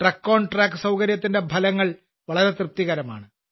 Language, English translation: Malayalam, The results of the TruckonTrack facility have been very satisfactory